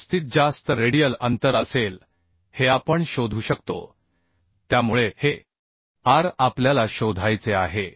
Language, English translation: Marathi, Maximum radial distance we can find out this will be the maximum radial distance so this r we have to find out